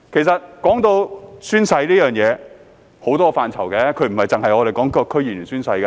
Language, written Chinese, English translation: Cantonese, 談到宣誓，其實有很多範疇，不只是我們提到的區議員宣誓。, Speaking of oath - taking it actually concerns many aspects and not just the oath - taking by DC members under discussion